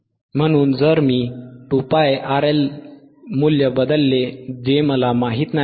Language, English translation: Marathi, So, if I substitute the value 2 pi R L, which is I do not know